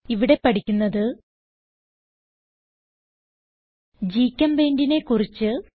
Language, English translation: Malayalam, GChemPaint application opens